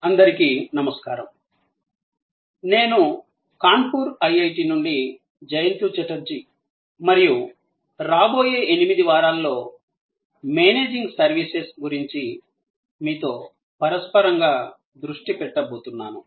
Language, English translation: Telugu, Hi, this is Jayanta Chatterjee from IIT, Kanpur and over the next 8 weeks, I am going to focus on and discuss with you interactively about Managing Services